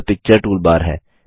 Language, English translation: Hindi, This is the Picture toolbar